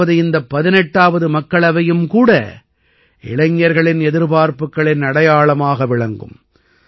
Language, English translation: Tamil, That means this 18th Lok Sabha will also be a symbol of youth aspiration